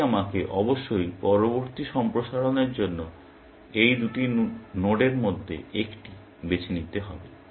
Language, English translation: Bengali, So, I must choose one of these two nodes for expansion next, essentially